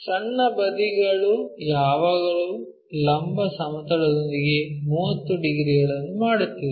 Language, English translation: Kannada, The small side is always making 30 degrees with the vertical plane